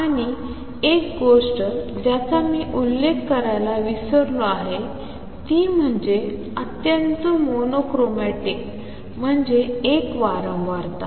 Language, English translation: Marathi, And also one thing I have forgot to mention is highly mono chromatic that means, one frequency